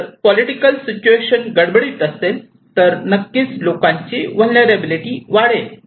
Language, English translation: Marathi, So, if the political situation is in a turmoil that will of course increase people's vulnerability